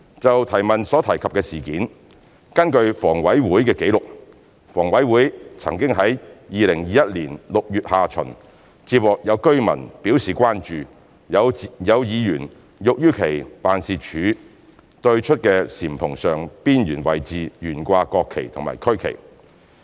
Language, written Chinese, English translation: Cantonese, 就質詢所提及的事件，根據房委會紀錄，房委會曾於2021年6月下旬接獲有居民表示關注有議員欲於其辦事處對出的簷篷上邊緣位置懸掛國旗及區旗。, As regards the incident as mentioned in the question according to HKHAs record HKHA received an enquiry from a resident in late - June 2021 concerning the planned display of national flag and regional flag at the upper edge of the eave outside the ward office of a council member